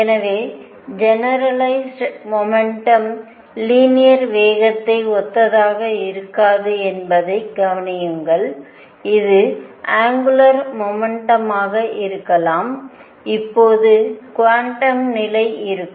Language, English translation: Tamil, So, notice that generalized momentum is not necessarily same as linear momentum it could be angular momentum and the quantum condition now would be